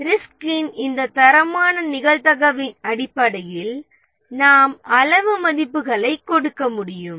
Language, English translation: Tamil, And based on this qualitative probability of a risk, we can give quantitative values